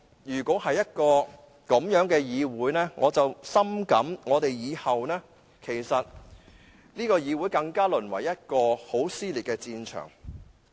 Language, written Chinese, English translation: Cantonese, 如果是這樣的話，我深感以後這個議會會淪為更撕裂的戰場。, If it is the case I deeply feel that the Council will be reduced to an even more dissented battlefield